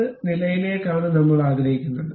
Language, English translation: Malayalam, Up to which level we would like to have